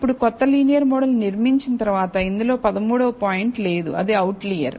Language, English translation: Telugu, Now, after building the new linear model, which does not contain the 13th point, that is an outlier